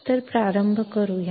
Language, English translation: Marathi, So, let’s start